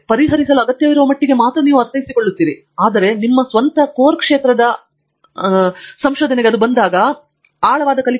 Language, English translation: Kannada, You understand only to the extent that is necessary to solve but then, when it comes to your own core area of research, I think it is very important to achieve in depth learning